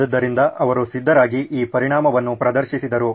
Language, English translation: Kannada, So he was ready and he demonstrated this effect